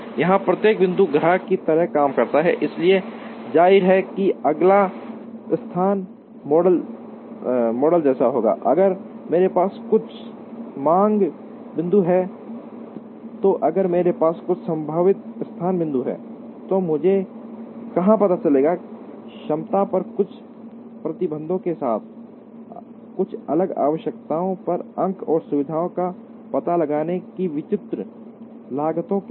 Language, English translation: Hindi, Each point here acts like a customer, so obviously the next location model will be like, if I have some demand points and if I have some potential location points, where do I locate, with some restrictions on capacity, with some different requirements at different points and with different costs of locating the facility